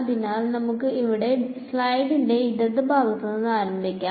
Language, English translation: Malayalam, So, let us start with the left part of the slide over here